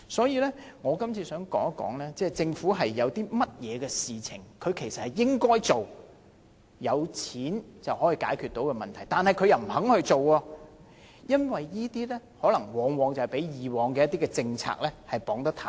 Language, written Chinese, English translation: Cantonese, 因此，我想說一說，有一些事情政府應該做，而且是錢可以解決的問題，卻不肯做，可能因為被以往一些政策綁得太緊。, Therefore I wish to say that the Government has refused to do certain things that should be done to solve problems that could be handled with money . Perhaps it has been overly restrained by some old policies